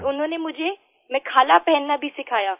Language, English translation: Hindi, And they taught me wearing the 'Mekhla' attire